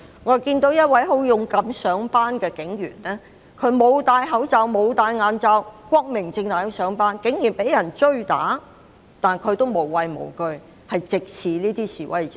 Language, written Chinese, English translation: Cantonese, 我看到一名警員勇敢上班，他沒有戴口罩、眼罩，光明正大地上班，卻竟然被追打，但他無畏無懼，直視那些示威者。, I saw a policeman bravely make his way to work . He did so openly and righteously without wearing a face mask or goggles . Despite being hounded and attacked he neither cringed nor cowered looking at those protesters straight in the eye